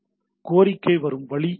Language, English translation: Tamil, So, this is the way request comes